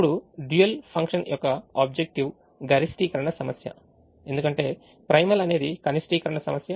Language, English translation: Telugu, now the objective function of the dual it's a maximization problem, because the primal is the minimization problem